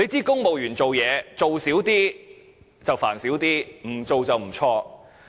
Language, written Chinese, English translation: Cantonese, 公務員辦事，少做一點，煩惱會少一點，不做就不會錯。, For civil servants less work means less trouble and no work means no error